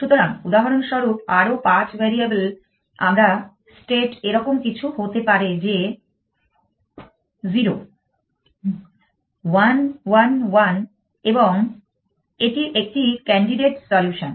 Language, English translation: Bengali, So, for example, further 5 variables my state could be something like this one 0, 1, 1, 1 and it is a candidate solution